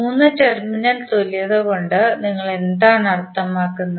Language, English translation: Malayalam, What do you mean by 3 terminal equivalents